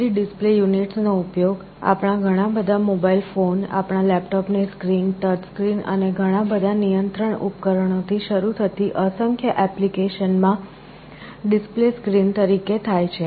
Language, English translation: Gujarati, The LCD display units are used as the display screen in numerous applications starting from many of our mobile phones, our laptop screens, touch screens, many control appliances everywhere